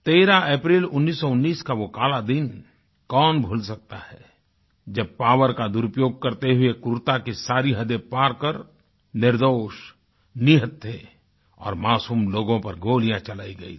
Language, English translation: Hindi, Who can forget that dark day of April 13, 1919, when abusing all limits of power, crossing all the boundaries of cruelty; theguiltless, unarmed and innocent people were fired upon